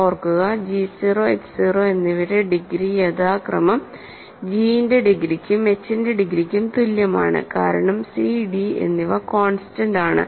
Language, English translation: Malayalam, Remember, the degree of g 0 and h 0 are equal to degree of g and degree of h, respectively, because c and d are constants